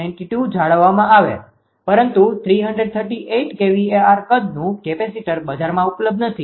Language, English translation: Gujarati, 92 right, but 338 kilo hour capacitor size is not available in the market